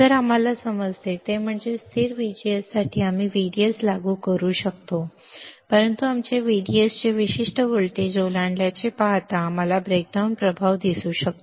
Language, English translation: Marathi, So, what we understand is that for a constant VGS we can apply VDS, but you see exceed certain voltage of VDS we may see the breakdown effect